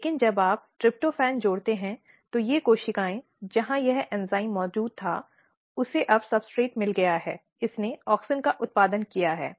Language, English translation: Hindi, But when you add tryptophan what is happening that, these cells where this enzyme was present it has got the substrate now it has produced auxin